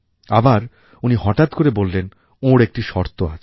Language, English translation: Bengali, But then he suddenly said that he had one condition